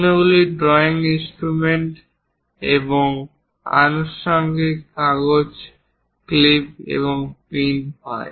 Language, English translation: Bengali, The other drawing instruments and accessories are paper clips and pins